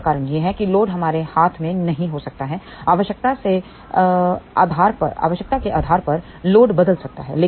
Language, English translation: Hindi, The reason for that is the load may not be in our hand, the load may change depending upon the requirement